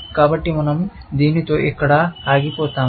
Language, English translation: Telugu, So, we will stop here with this